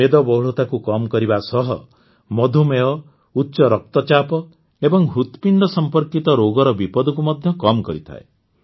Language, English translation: Odia, Along with reducing obesity, they also reduce the risk of diabetes, hypertension and heart related diseases